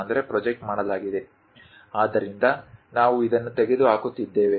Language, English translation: Kannada, So, we are removing this